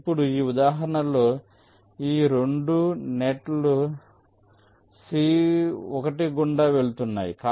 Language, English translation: Telugu, now, in this example, two of this nets are passing through c one